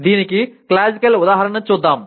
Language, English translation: Telugu, The classical example is let us look at this